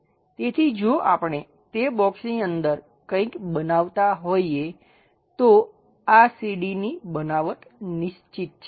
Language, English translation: Gujarati, So, if we are making something like that within that box this entire staircase construction is fixed